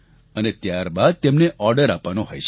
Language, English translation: Gujarati, And then the orders can be placed